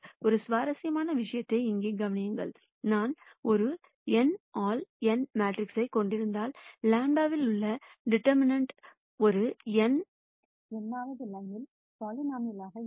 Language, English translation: Tamil, Notice an interesting thing here; if I have an n by n matrix, the determinant in lambda would be an nth order polynomial